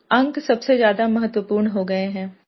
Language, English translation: Hindi, Marks have become all important